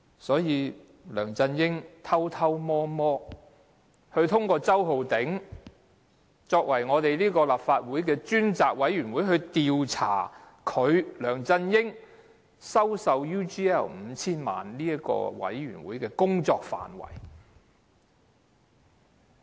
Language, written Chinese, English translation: Cantonese, 因此，梁振英偷偷摸摸，通過周浩鼎議員修改立法會調查他收受 UGL 5,000 萬元的事宜的專責委員會的調查範圍。, LEUNG Chun - ying had worked through Mr Holden CHOW to secretively amend the scope of inquiry of the Select Committee of the Legislative Council to inquire into matters about his acceptance of HK50 million from UGL . Yet justice has long arms